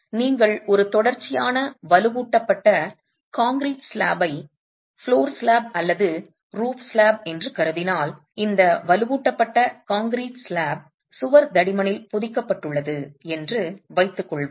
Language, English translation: Tamil, If you were to consider a continuous reinforced concrete slab as the floor slab or the roof slab, and let's assume that this reinforced concrete slab is embedded into the wall thickness